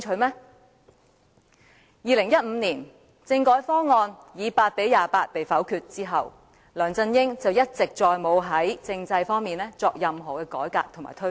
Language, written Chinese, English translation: Cantonese, 在2015年，政改方案以8票贊成、28票反對遭否決後，梁振英一直沒有再在政制方面作任何改革和推動。, Ever since the constitutional reform package was vetoed in 2015 with eight votes in favour of and 28 against it LEUNG Chun - ying did not introduce any reform and initiative in regard to constitutional development